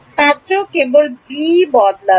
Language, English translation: Bengali, Only the b will change